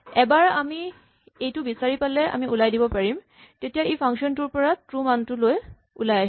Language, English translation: Assamese, Once we have found it we can exit, so this exits the function with the value true